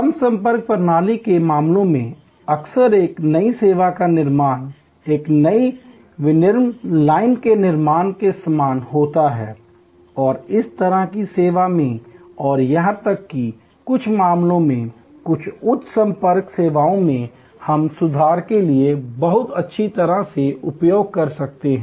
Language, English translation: Hindi, In case of a low contact system, often the creation of a new service is very similar to creation of a new manufacturing line and in this kind of services and even in some cases, some high contact services, we can very well use for improving the service, various kinds of techniques like line balancing and so on